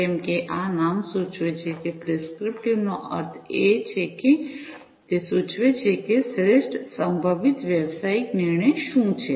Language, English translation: Gujarati, As this name suggests prescriptive means that it will prescribe, that what is the best possible business decision right